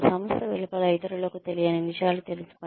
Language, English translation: Telugu, Know things that others, outside the organization, do not know